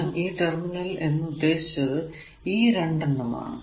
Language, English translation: Malayalam, So, 3 terminal means basically these 2 terminals